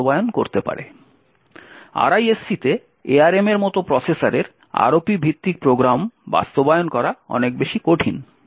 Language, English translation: Bengali, In RISC type of processors like ARM implementing ROP based programs is much more difficult